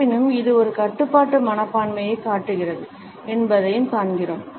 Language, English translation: Tamil, However, we find that it shows a restraint attitude